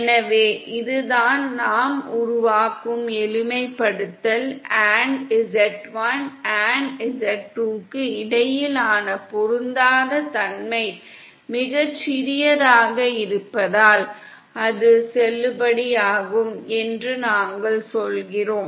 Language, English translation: Tamil, So that is the simplification we are making & we are saying that it’s valid because the mismatch between z1 & z2 is very small